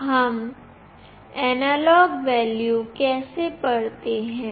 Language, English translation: Hindi, How do we read the analog value